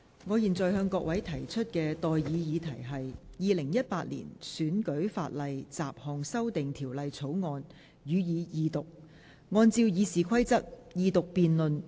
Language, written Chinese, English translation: Cantonese, 我現在向各位提出的待議議題是：《2018年選舉法例條例草案》，予以二讀。, I now propose the question to you and that is That the Electoral Legislation Bill 2018 be read the Second time